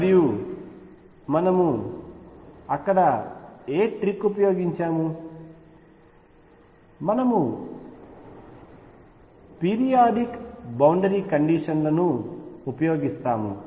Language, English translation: Telugu, And what trick did we use there, we use periodic boundary conditions